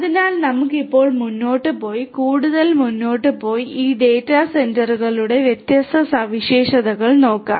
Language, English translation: Malayalam, So, let us now go ahead and go further and look at the different characteristics of these data centres